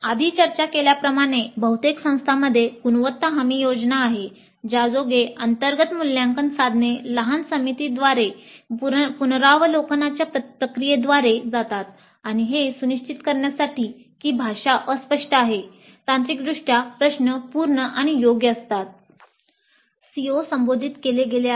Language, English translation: Marathi, And as we discussed earlier, most of the institutes do have a quality assurance scheme whereby the internal assessment instruments go through a process of review by a small committee to ensure that the language is unambiguous the technically the question is complete and correct